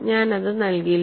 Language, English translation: Malayalam, It did not work